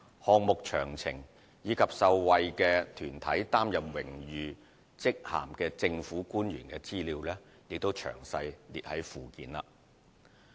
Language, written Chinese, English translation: Cantonese, 項目詳情及於受惠團體擔任榮譽職銜的政府官員資料見附件。, The particulars of these projects and the honorary titles held by government officials in recipient organizations are set out at Annex